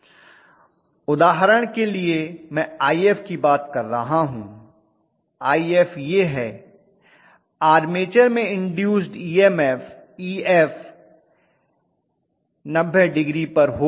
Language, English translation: Hindi, For an example letter say I am talking about IF like this, may be the Ef induced EMF in the armature is at 90 degrees okay